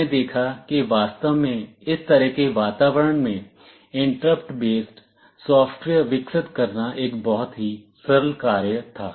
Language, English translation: Hindi, We saw that it was really a very simple task for developing interrupt based software in this kind of environment